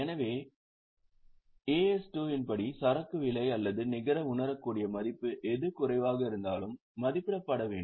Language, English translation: Tamil, So, for the purpose of valuation, it is the cost or net realizable value whichever is lower